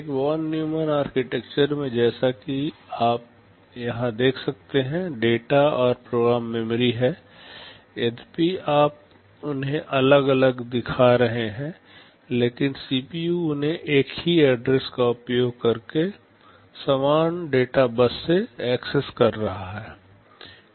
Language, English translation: Hindi, In a Von Neumann architecture as you can see here are the data and program memory; although you are showing them as separate, but CPU is accessing them over the same data bus using the same address